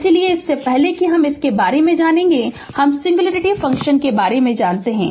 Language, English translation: Hindi, So, before that little bit we were learn about we will learn about singularity function